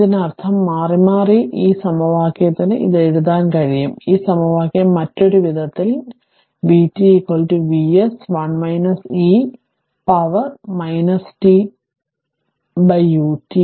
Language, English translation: Malayalam, So, that means alternatingly this equation you can write this, this equation other way that it is v t is equal to V s 1 minus e to the power minus t into U t